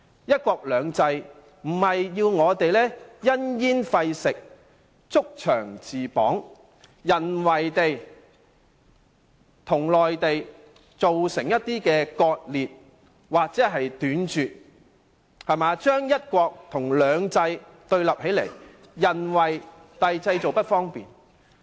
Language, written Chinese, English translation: Cantonese, "一國兩制"並非要求我們因噎廢食，築牆自綁，在本港與內地之間製造一些人為割裂，令"一國"與"兩制"對立起來，造成諸般不便。, The principle of one country two systems is not meant to make us ban something simply for fear of having possible risks and thus impose self - constraints to the effect that Hong Kong is deliberately made to split from the Mainland where the one country contradicts two systems causing various inconveniences to Hong Kong as well as the Mainland